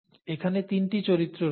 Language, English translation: Bengali, There is three characters here